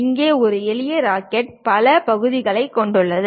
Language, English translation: Tamil, Here a simple rocket consists of many parts